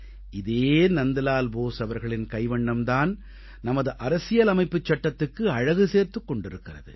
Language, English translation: Tamil, This is the same Nandlal Bose whose artwork adorns our Constitution; lends to the Constitution a new, unique identity